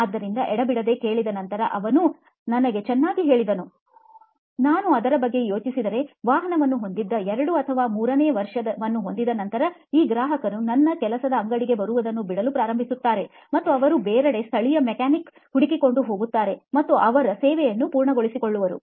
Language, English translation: Kannada, So upon grilling, he told me well, if I think about it, it’s I noticed that after say the 2nd or 3rd year of owning of a vehicle, these customers start dropping off coming to my work shop and they go elsewhere, say find a local mechanic and get their servicing done